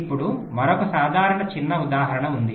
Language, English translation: Telugu, now there is another simple, small example